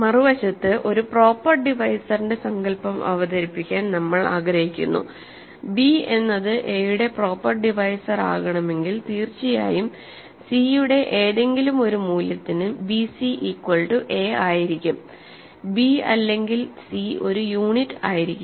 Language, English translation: Malayalam, On the other hand, we want to introduce the notion of a proper divisor we say that b is a proper divisor of a if, of course, first of all b divides if b c is equal to a for some c and neither b nor c is a unit so, this is an important notion here